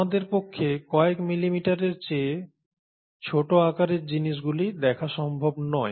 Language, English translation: Bengali, ItÕs not possible for us to see things which are below a few millimetres in size